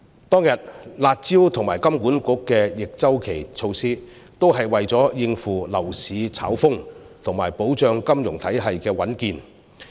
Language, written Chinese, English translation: Cantonese, 當天的"辣招"及金管局的逆周期措施，都是為了應付樓市炒風及保障金融體系的穩健。, The curb measures and counter - cyclical measures launched by HKMA back then are meant to cope with speculations in the property market and to assure stability of the financial system